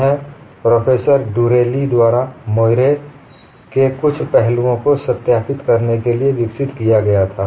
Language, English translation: Hindi, This was developed by Professor Durelli for a verifying some aspects of moirae and this is a multiply connected object